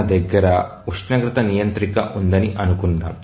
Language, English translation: Telugu, Let's say that we have a temperature controller